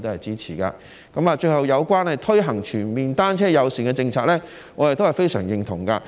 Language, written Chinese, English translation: Cantonese, 最後，有關推行全面單車友善政策，我也是非常認同的。, Finally I also agree very much with the implementation of a comprehensive bicycle - friendly policy